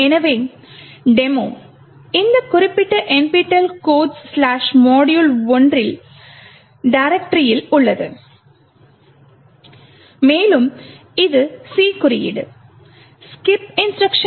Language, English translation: Tamil, So, the demo is present in this particular directory nptel codes/ module 1 and it corresponds to this C code skip instruction